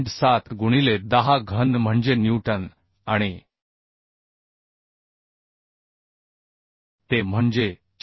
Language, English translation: Marathi, 7 into 10 cube that is newton and t is 4